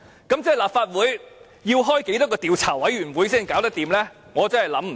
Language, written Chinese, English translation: Cantonese, 那麼，立法會究竟要成立多少個調查委員會才可行？, In that case how many investigation committees will the Legislative Council need to set up?